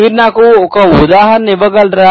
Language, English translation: Telugu, Can you give me one example